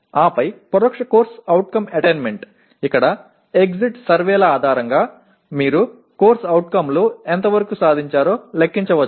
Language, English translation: Telugu, And then indirect CO attainment where based on the exit surveys you compute to what extent COs are attained